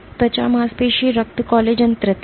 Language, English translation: Hindi, Skin, muscle, blood collagen III